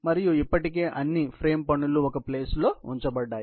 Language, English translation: Telugu, and all the frame work has already been put in place